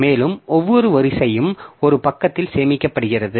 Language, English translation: Tamil, And each row is stored in one page